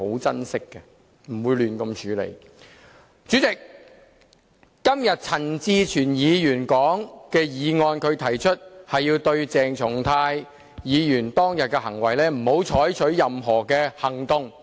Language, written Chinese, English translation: Cantonese, 主席，陳志全議員今天提出的這項議案要求不要對鄭松泰議員當天的行為採取任何行動。, President this motion proposed by Mr CHAN Chi - chuen today requires that no action shall be taken against the acts of Dr CHENG Chung - tai that day